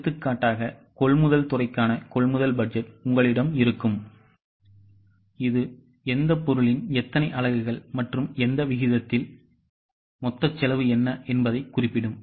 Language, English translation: Tamil, For example, you will have a purchase budget for purchase department that will specify how many units of which item and at what rate, what will be the total cost